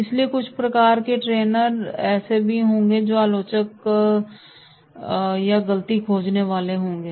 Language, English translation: Hindi, So therefore, there will be certain types of trainees those who will be the critics or the fault finders